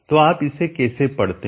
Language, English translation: Hindi, So how do you read this